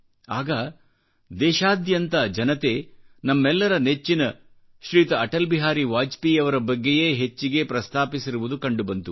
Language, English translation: Kannada, The subject about which most of the people from across the country have written is "Our revered AtalBehari Vajpayee"